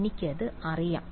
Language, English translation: Malayalam, I do know it right